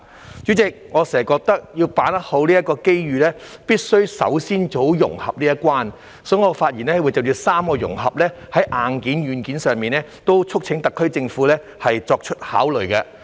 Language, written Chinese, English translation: Cantonese, 代理主席，我經常認為，要好好把握這個機遇，必須首先做好融合這一關，所以，我會就硬件和軟件上的3個融合發言，促請特區政府考慮。, Deputy President I always think that in order to properly grasp this opportunity we must first do a good job in integration . Therefore I would like to speak on three areas of hardware and software integration and urge the SAR Government to consider them